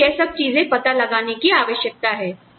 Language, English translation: Hindi, You need to figure out those things